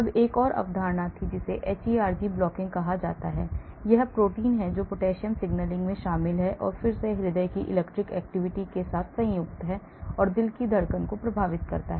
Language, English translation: Hindi, then there was another concept called hERG blocking; this is a protein which is involved in potassium signalling and again which is in turn combined with the electric activity of the heart and affects the heartbeat